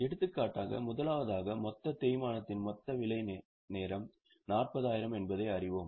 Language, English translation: Tamil, For example, firstly we will we know that the total depreciation, total number of working hours are 40,000